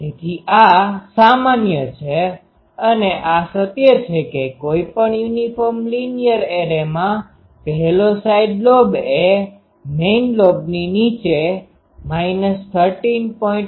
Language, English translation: Gujarati, So, this is the general this is a truth, that any uniform linear array any uniform linear array the first side lobe is only minus 13